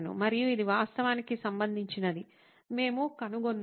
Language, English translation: Telugu, And we actually found out that this was related